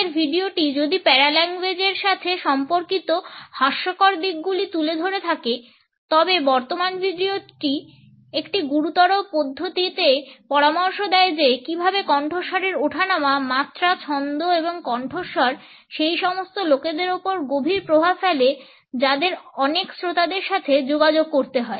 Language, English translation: Bengali, If the previous video had taken up the hilarious aspects related with paralanguage, the current video in a serious manner suggest how tone, pitch, rhythm, pitch and voice have profound impact on those people who have to communicate with a large audience